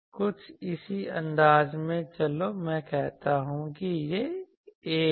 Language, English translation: Hindi, In a similar fashion, so let me say this is A